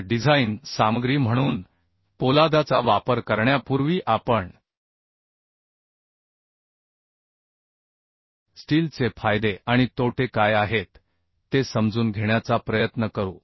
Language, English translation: Marathi, So before going to use the steel as a design material, we will try to understand what are the advantages and disadvantages of the uhh steel